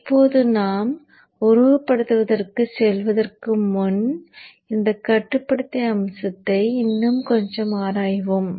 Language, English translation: Tamil, Now let us just examine this controller aspect a bit more before we go to the simulation